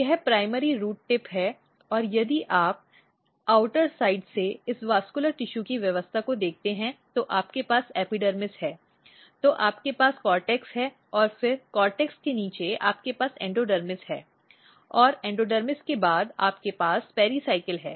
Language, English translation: Hindi, This is root tip or primary root tip and if you look the arrangement of this vascular tissue so if you take from the outer side you have epidermis, then you have cortex and then below cortex you have endodermis and after endodermis you have pericycle